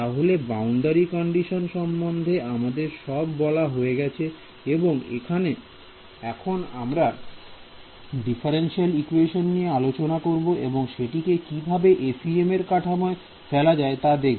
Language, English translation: Bengali, So, I have told you about the boundary condition and now what remains is to take a differential equation and convert it into the FEM form right